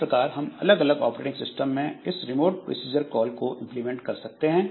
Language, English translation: Hindi, So, this way we have got this remote procedure calls implemented in different operating systems